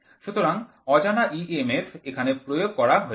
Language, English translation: Bengali, So, unknown EMF is applied here